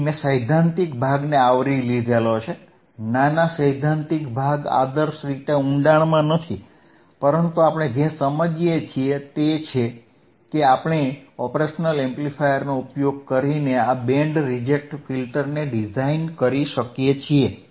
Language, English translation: Gujarati, So, we will right now I have covered the theoretical portion once again, small theoretical portion not ideally in depth, but what we understood is we can design this band reject filter right using and operational amplifier